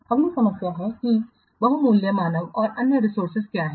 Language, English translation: Hindi, Next problem is locking up what valuable human and other resources